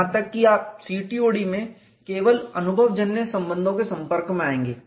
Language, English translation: Hindi, Even in CTOD you would come across only empirical relations